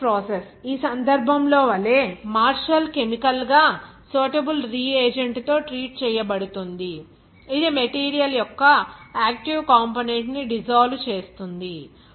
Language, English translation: Telugu, Leaching process, like in this case, the martial is treated chemically with a suitable reagent that preferentially dissolves the active component of the material